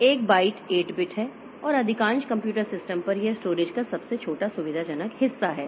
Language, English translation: Hindi, A byte is 8 bits and on most computer system it is the smallest convenient chunk of storage